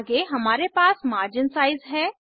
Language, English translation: Hindi, Next, we have margin sizes